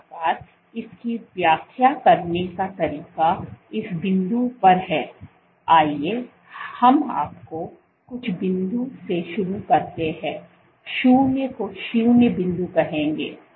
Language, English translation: Hindi, So, this the way to interpret this is at this point let us say you start from some point zero will call zero point